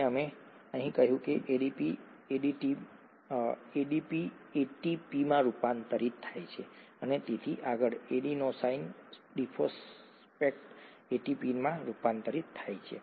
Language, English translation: Gujarati, And we said ADP getting converted to ATP and so on so forth, adenosine diphosphate getting converted to ATP